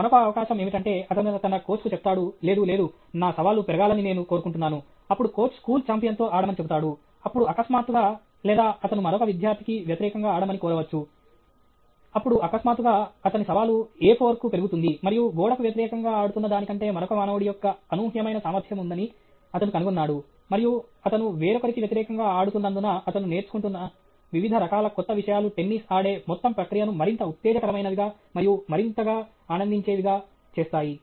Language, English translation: Telugu, Other possibility is he will tell his coach, no, no, I want my challenge to increase, then he will ask him to play against the school champion then suddenly or he may ask him to play against another student, then suddenly his challenge is increased to A four, and he finds that there is the sheer unpredictability of another human being playing as against the wall, and the variety of new things which he is learning because he is playing against somebody else makes the whole process of playing tennis more exciting and more enjoyable